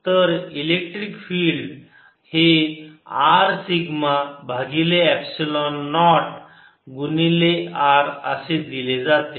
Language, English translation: Marathi, so electric field is given by r sigma over at epsilon naught in to r